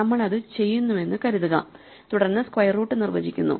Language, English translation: Malayalam, Assuming that we are done that then square root is defined